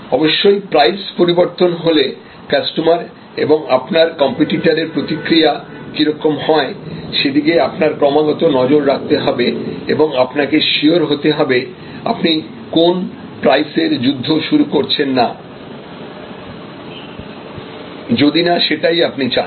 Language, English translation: Bengali, Of course, you have continuously monitor the reactions of customers as well as competitors to price change, you have to be very sure that you are not going to cause a price war unless that is what we want